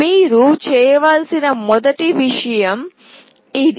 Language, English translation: Telugu, This is the first thing you need to do